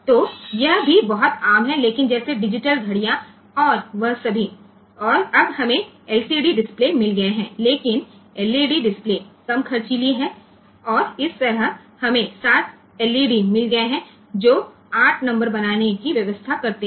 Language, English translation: Hindi, So, this is also very common, but like say digital watches and all that of course, many a time now we have got LCD displays, but LED displays are less costly and that way we have got 7 LEDs arranged to form the number 8